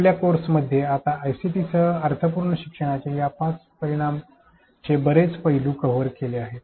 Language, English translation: Marathi, In our course we have covered most aspects of these 5 dimensions of meaningful learning with ICT